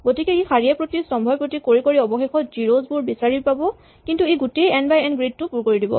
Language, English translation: Assamese, So, it will do row by row, column by column and it will eventually find the 0s, but it will fill the entire n by n grid